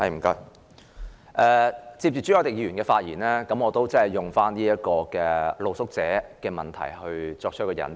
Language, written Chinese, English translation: Cantonese, 承接朱凱廸議員的發言，我也談談露宿者問題，以作為引子。, To follow on Mr CHU Hoi - dicks speech I would also like to talk about the problem of street sleepers as an introduction